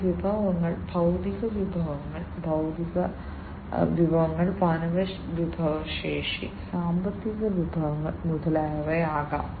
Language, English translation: Malayalam, These resources could be physical resources, intellectual resources, human resources, financial resources, and so on